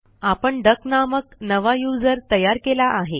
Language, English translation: Marathi, We have created a new user called duck